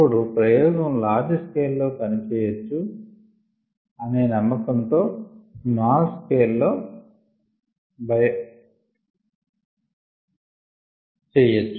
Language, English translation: Telugu, then experiments could be done at the small scale with the confidence that they would work at the large scale and then you could implement them at the large scale